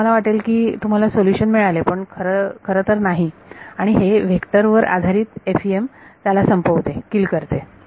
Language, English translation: Marathi, So, you think that you have got a solution, but it is actually not and this vector based FEM kills it